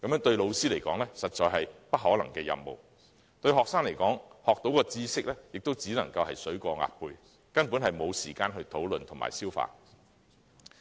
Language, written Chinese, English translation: Cantonese, 對老師來說，這實在是不可能的任務；對學生來說，學到的知識亦只是"水過鴨背"，根本沒有時間討論和消化。, For teachers this is indeed a mission impossible . For students the knowledge acquired is like stream of water passing off the back of a duck . They simply have no time to discuss and digest it